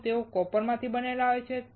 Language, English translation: Gujarati, Are they made up of copper